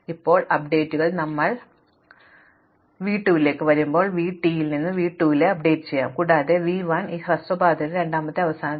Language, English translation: Malayalam, Now, we might do also correct whether updates will do not bother us, but now when we come to v 2 we will be updating v 2 from v 1 and v 1 is a second last path on this shortest path